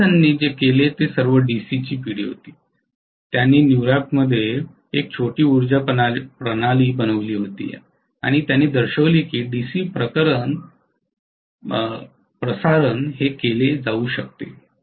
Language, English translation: Marathi, What Edison did was all DC generation, he made a small power system within you know New York City and he showed that you know DC transmission could be done